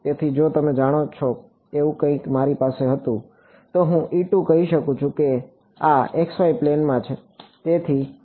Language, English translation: Gujarati, So, if I had something like you know E z, I can say this is in the x y plane